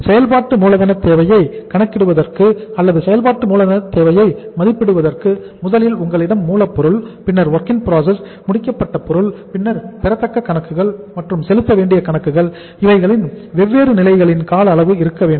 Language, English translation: Tamil, For calculating the working capital requirement or assessing the working capital requirement first of all you should have the duration of the different uh levels of your material will be raw material, then WIP, then finished goods, and then accounts receivables and accounts payable